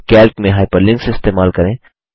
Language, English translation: Hindi, How to use hyperlinks in Calc